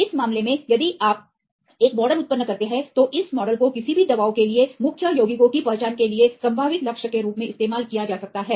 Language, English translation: Hindi, In this case if you generate a model, then this model could be used as a potential target for identifying the lead compounds for any drugs